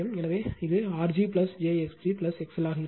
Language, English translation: Tamil, So, it will be R g plus j x g plus X L right